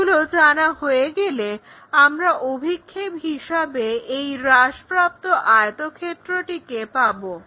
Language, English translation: Bengali, Once we know that we have this reduced rectangle as a projection